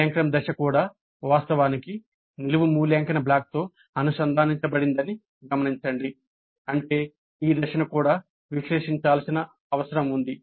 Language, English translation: Telugu, Note that even the evaluate phase itself actually is connected to the vertical evaluate block which essentially means that even this phase needs to be evaluated